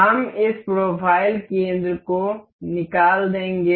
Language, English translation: Hindi, We will remove this profile center